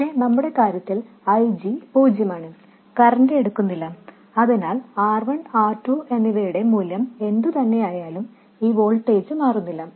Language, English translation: Malayalam, But in our case IG is zero, no current is drawn so this voltage will not change at all regardless of the value of R1 and R2